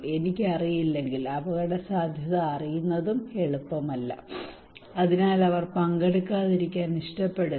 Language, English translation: Malayalam, That if I do not know only knowing the risk is not easy, so they prefer not to participate